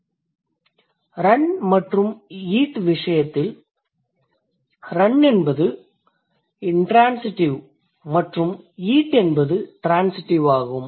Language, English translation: Tamil, So, this run versus eat, run is intransitive and eat is transitive